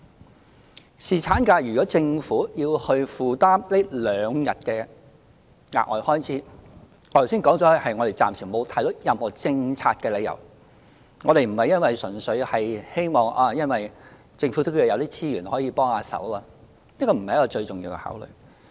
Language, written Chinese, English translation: Cantonese, 就侍產假，如果政府要負擔這兩天的額外開支，我剛才說過暫時沒有看到任何政策理由，我們不是純粹視乎政府有沒有資源可以幫手，這不是最重要的考慮。, With regard to paternity leave as I have explained just now so far we do not see any policy reason why the Government should bear the additional cost for the two extra days of paternity leave . The most important consideration does not lie solely in the availability of government resources in rendering assistance